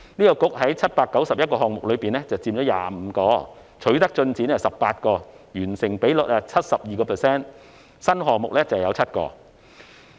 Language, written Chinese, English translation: Cantonese, 該局在791個項目中佔25個，取得進展有18個，完成比率是 72%， 而新項目則有7個。, This Bureau is responsible for 25 of the 791 initiatives . Among them 18 have made progress ie . a completion rate of 72 % and 7 are new ones